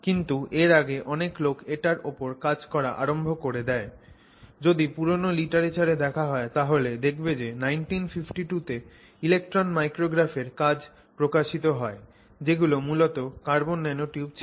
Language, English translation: Bengali, So, for example in 1952, the earliest that they could find in 1952, they actually saw publications where there were electron micrographs which showed structures which were essentially carbon nanotubes